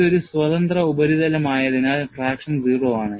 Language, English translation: Malayalam, On a free surface, traction is 0